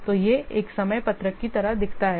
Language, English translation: Hindi, So, this is how a time sheet looks like